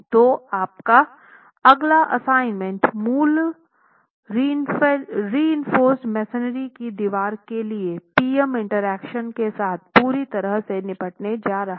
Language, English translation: Hindi, So your next assignment is basically going to deal completely with the PM interactions for reinforced masonry walls